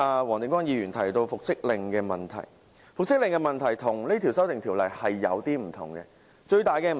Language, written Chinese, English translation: Cantonese, 黃定光議員剛才提到復職令的問題，其實與這項修訂條例有點不同。, Mr WONG Ting - kwong mentioned the reinstatement Bill just now which is actually a bit different from this Bill